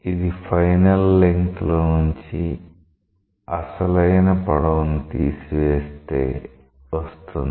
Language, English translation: Telugu, That is the final length minus the original length